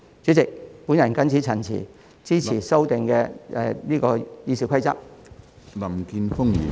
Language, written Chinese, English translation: Cantonese, 主席，我謹此陳辭，支持對《議事規則》進行修訂的議案。, With these remarks President I support the motion on amending the Rules of Procedure